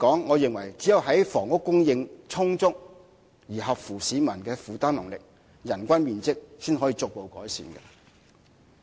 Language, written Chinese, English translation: Cantonese, 我認為最終只有在房屋供應充足和合乎市民負擔能力的情況下，人均面積才可逐步得到改善。, In my view only when housing supply is sufficient and affordable can the average living space per person be increased gradually